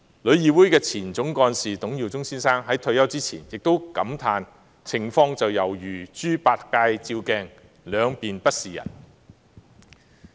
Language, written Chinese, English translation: Cantonese, 旅議會前總幹事董耀中先生在退休前也感嘆，情況猶如"豬八戒照鏡，兩面不是人"。, Mr Joseph TUNG former Executive Director of TIC sadly remarked before his retirement that in trying to please everyone TIC ended up attracting criticisms on all fronts